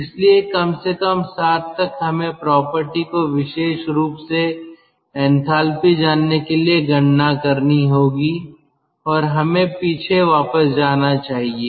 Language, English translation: Hindi, so at least up to point seven we have to do calculation to know the property ah, particularly enthalpy